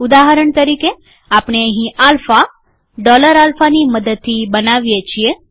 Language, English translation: Gujarati, For example, we create alpha using dollar alpha